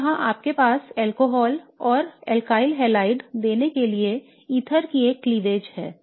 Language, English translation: Hindi, Okay here you have a cleavage of an ether to give you an alcohol and an alkaline iodide